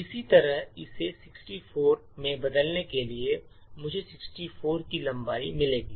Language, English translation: Hindi, Similarly, by changing this over here to say 64 I will get a string of length 64